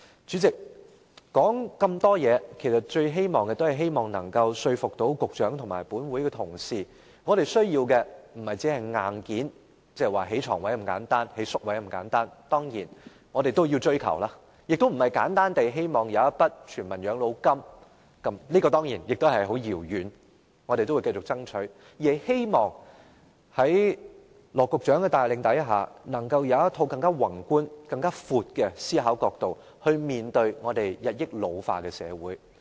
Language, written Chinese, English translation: Cantonese, 主席，說了那麼多，其實也是希望說服局長和本會同事，我們需要的並非只是硬件，不只是提供更多床位和宿位那麼簡單，當然這些也是我們要追求的，亦並非簡單地設立全民養老金，當然這也是很遙遠的事情，我們仍會繼續爭取，而是希望在羅局長的帶領下，能夠有更宏觀、更廣闊的思考角度來面對我們日益老化的社會。, We need not only more hospital beds and residential care places though these are of course what we should work for too . Also what we need is not only as simple as putting in place a universal Demo - grant which is of course something most remote though we will continue to fight for it . Rather I hope that under the leadership of Secretary Dr LAW the Government can take a more macroscopic and broader angle in its consideration in the face of our society which is ageing continually